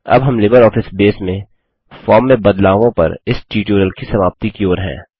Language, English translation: Hindi, This brings us to the end of this tutorial on Modifying a Form in LibreOffice Base